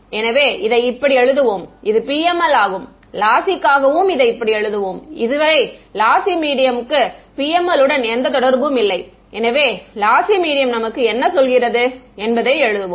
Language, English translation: Tamil, So, this is for let us just write it this is for PML ok, let us write down for lossy; lossy medium has no relation so, far with PML right let just write down what the lossy medium says for us